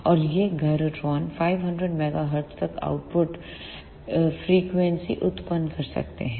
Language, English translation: Hindi, And these gyrotrons can generate output frequencies up to 500 megahertz